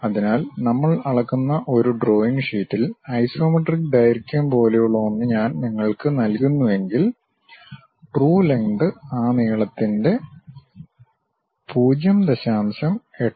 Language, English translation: Malayalam, So, if I am giving you a drawing sheet on which there is something like isometric lengths which we are measuring, the true length will be 0